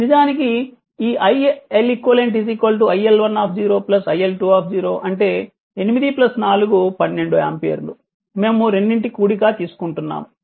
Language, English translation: Telugu, So, this is actually units that is l iLeq is equal to iL10 plus iL20 that is 8 plus 4 is equal to 12 ampere both we are adding